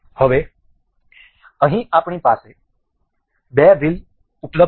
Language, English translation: Gujarati, Now, here we have two wheels available